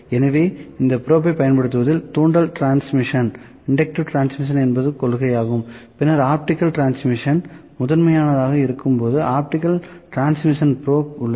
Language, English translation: Tamil, So, inductive or inductive transmission is the principle in using this probe, then optical transmission probe there when optical transmission is the principal